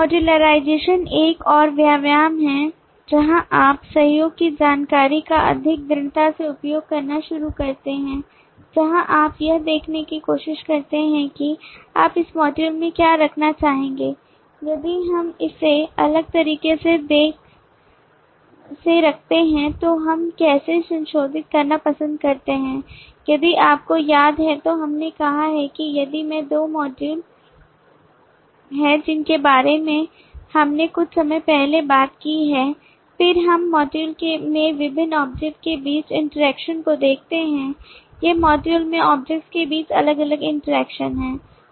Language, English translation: Hindi, modularization is another exercise where you start using the collaboration information more strongly is where you try to see that what would you like to put in a model if we put it differently how do we like to modularize if you remember then we have said that if i have two modules that we have talked about this sometime back then we look into the interaction between different objects in the modules these are the different interactions between the objects in the module